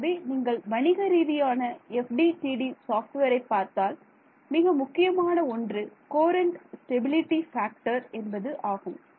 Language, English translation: Tamil, So, when you look at commercial FDTD software, one of the most important knobs is this courant stability factor